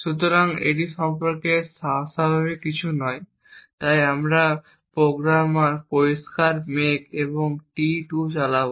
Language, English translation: Bengali, So, this is nothing unusual about it, so we would make clean make and run t2